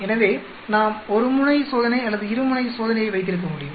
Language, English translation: Tamil, So, we can have either 1 tailed test or a 2 tailed test